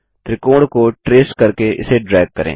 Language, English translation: Hindi, Drag it tracing the triangle